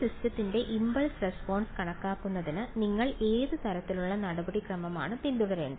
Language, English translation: Malayalam, What kind of procedure would you follow for calculating the impulse response of a system